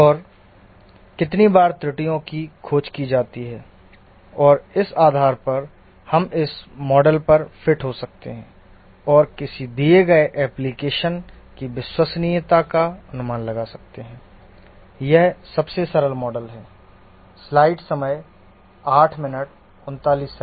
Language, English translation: Hindi, And based on how frequently are errors discovered and so on, we can fit onto this model and predict the reliability of a given application